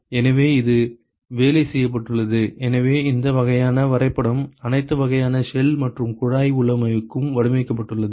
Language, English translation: Tamil, So, so this has been worked out so this kind of graph has been worked out for all kinds of shell and tube configuration